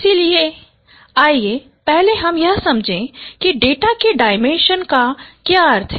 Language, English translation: Hindi, So, let us first understand that what is meant by dimension of a data